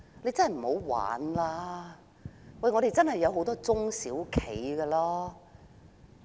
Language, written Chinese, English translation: Cantonese, 請不要再鬧着玩，香港真的有很多中小企。, Think of the many small and medium enterprises in Hong Kong